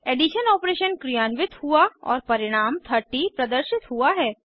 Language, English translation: Hindi, The addition operation is performed and the result 30 is displayed